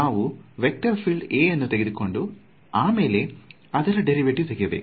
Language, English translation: Kannada, So, it is I have to take the vector field A and then take its derivative